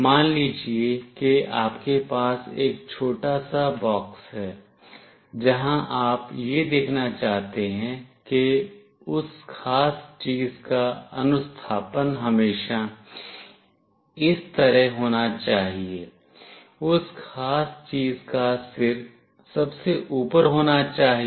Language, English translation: Hindi, Let us say you have a small box in place where you wanted to see that the orientation of that particular thing should always be like … the head of that particular thing should be at the top